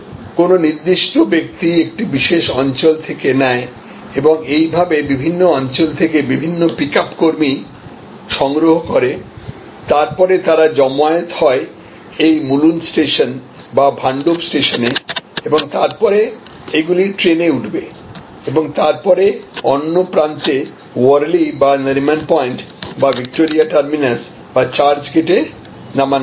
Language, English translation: Bengali, So, a particular person collects from a particular zone and various pickup personnel from the various zones, then they congregate at say this Mulund station or Bhandup station and then, it gets onto the train and then, when it is unloaded at the other end for Worli or for Nariman point or Victoria terminus or at church gate